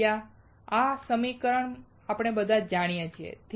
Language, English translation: Gujarati, Area; We all know this equation